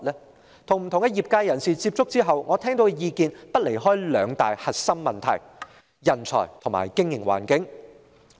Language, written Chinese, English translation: Cantonese, 我曾與不同業界人士接觸，聽到的意見離不開兩大核心問題：人才和經營環境。, I have communicated with members from various trades and their comments focus on two main concerns talents and business environment